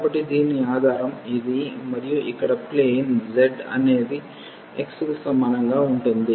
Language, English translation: Telugu, So, whose base is this and the plane here z is equal to x yeah